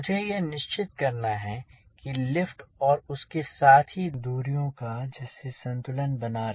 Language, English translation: Hindi, so i have to ensure the lift as well as the distances so that there is a moment balance